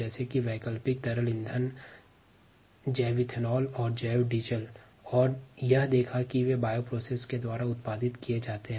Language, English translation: Hindi, then we looked at other examples, such as alternative liquid fuels, bio ethanol and bio diesel, and saw that they were also produced through bio processes